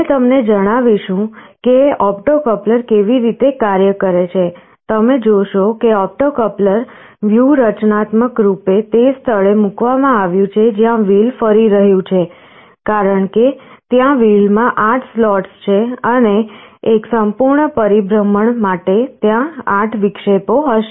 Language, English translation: Gujarati, We shall tell you that how an opto coupler works, you see the opto coupler is strategically placed just in the place where the wheel is rotating, because there are 8 slots in the wheel, and for one complete revolution there will be 8 interruptions